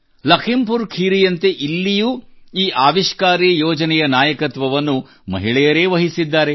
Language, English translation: Kannada, Like Lakhimpur Kheri, here too, women are leading this innovative idea